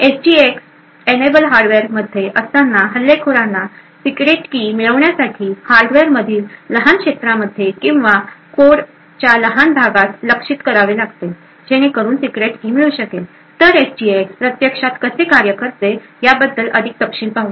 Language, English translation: Marathi, While in the SGX enabled hardware the attacker would have to target small regions in the hardware or small portions of code in the application in order to achieve in order to gain access to the secret key so let us look into more details about how SGX actually works